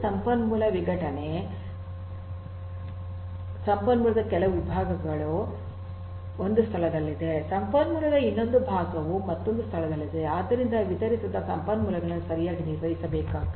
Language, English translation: Kannada, Resource fragmentation some part of the resource lies in one location another part of the resource lies in another location so the distributed resources will have to be handled properly